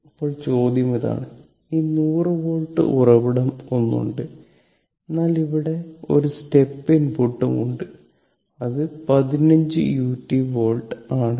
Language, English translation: Malayalam, Now question is, this one your this 100 volt source is there, but one step input is also there here that is 15 u t volt, right